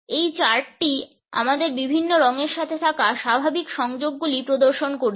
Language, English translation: Bengali, This chart displays the normal associations which we have with different colors